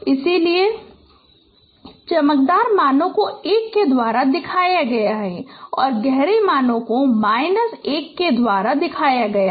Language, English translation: Hindi, So these values, the brighter values, they are shown by the values of 1 and the darker values they are shown by values of minus 1